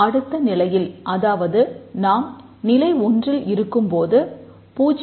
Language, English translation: Tamil, In the next level if we in the level 1 we write 0